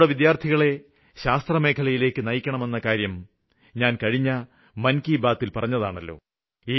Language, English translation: Malayalam, In the previous episode of Mann Ki Baat I had expressed the view that our students should be drawn towards science